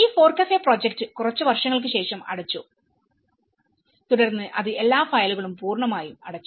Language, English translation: Malayalam, These FORECAFE the project is closed after a few years, then it completely closed all the files everything